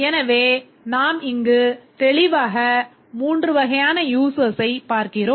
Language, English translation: Tamil, So, we can see here clearly that there are three categories of users